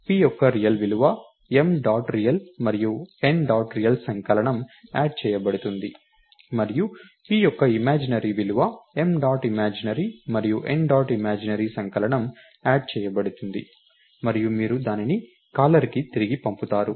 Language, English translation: Telugu, The p’s real value gets m dot real and n dot real added up and p’s imaginary value gets m dot imaginary and n dot imaginary added up, and you return that to the caller